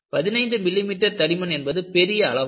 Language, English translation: Tamil, 15 millimeter thick is very very large